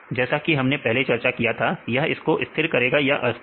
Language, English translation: Hindi, Earlier we discussed whether this will stabilize or destabilize